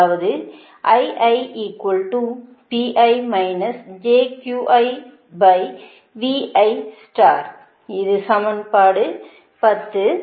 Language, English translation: Tamil, this is equation ten